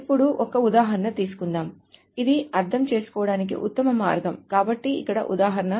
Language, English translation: Telugu, Now let us take an example that is the best way of understanding this